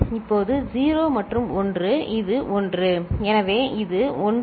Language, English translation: Tamil, Now 0 and 1, this is 1; so this is 1 0 0 0